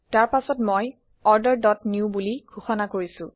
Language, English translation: Assamese, Next, I have defined Order dot new